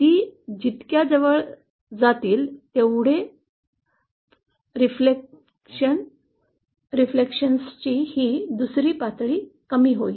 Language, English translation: Marathi, The closer they are, the lesser will this second level of reflection